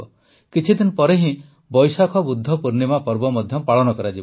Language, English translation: Odia, A few days later, the festival of Vaishakh Budh Purnima will also come